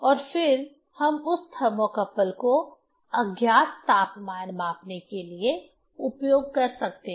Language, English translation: Hindi, And then we can use that thermocouple for measurement of the unknown temperature